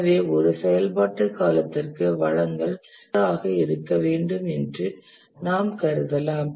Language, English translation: Tamil, And therefore we assume that for an activity duration, the resource is constant